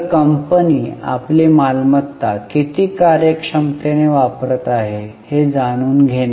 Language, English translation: Marathi, So, to know how efficiently the company is using its assets